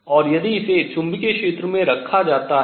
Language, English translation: Hindi, What happens now if I apply a magnetic field